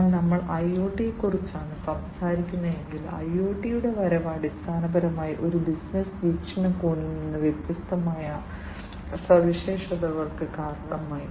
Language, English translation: Malayalam, So, if we are talking about IoT, the advent of IoT basically has resulted in different features from a business perspective